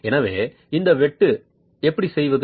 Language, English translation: Tamil, So, how do you make this cut